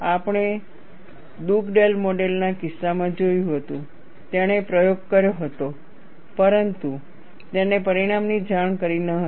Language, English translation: Gujarati, We had seen in the case of Dugdale model; he had performed the experiment, but he did not report the result